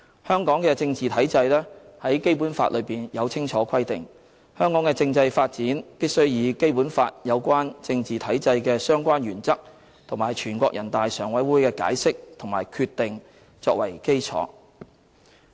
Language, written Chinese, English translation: Cantonese, 香港的政治體制在《基本法》中有清楚規定，香港的政制發展必須以《基本法》有關政治體制的相關原則，以及全國人大常委會的解釋和決定作為基礎。, The political system of Hong Kong has already been stipulated clearly under the Basic Law and the constitutional development of Hong Kong should be made according to the principles laid down in the Basic Law for the political system of Hong Kong as well as on the basis of the interpretations and decisions by NPCSC